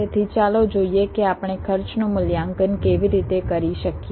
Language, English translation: Gujarati, so let us see how we can evaluate the cost